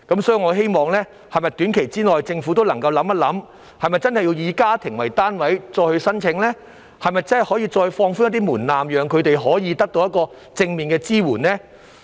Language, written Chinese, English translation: Cantonese, 所以，我希望政府能夠想一想，短期內是否應繼續以家庭為單位提出申請呢？是否可以再放寬一點門檻，讓他們得到正面的支援呢？, Therefore I hope the Government can consider whether it should continue to require applications to be made on a household basis and whether it can further relax the thresholds so that people can receive positive support